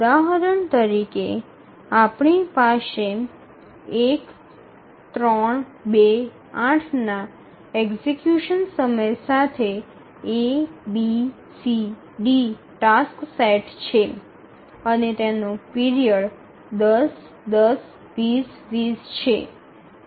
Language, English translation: Gujarati, We have 4 task sets A, B, C, D with execution time of 1, 3, 2, 8 and their periods are 10, 10, 20, 20